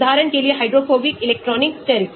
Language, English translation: Hindi, for example hydrophobic, electronic, steric